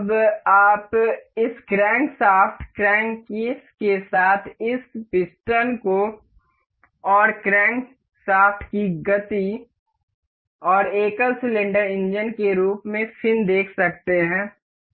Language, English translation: Hindi, Now, you can see the motion of this piston and the crankshaft in relation with this crankshaft crank case and the fin as in a single cylinder engine